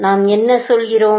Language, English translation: Tamil, What are we saying